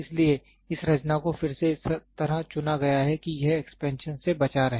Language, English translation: Hindi, So, this composition again is chosen such that it avoids expansion